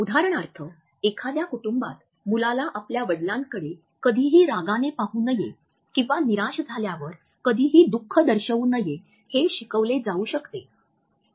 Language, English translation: Marathi, For example, in a family a child may be taught never to look angrily at his father or never to show sadness when disappointed